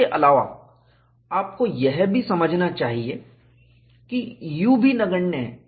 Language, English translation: Hindi, So, U is also negligible